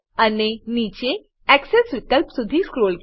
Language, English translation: Gujarati, And Scroll down to Axes option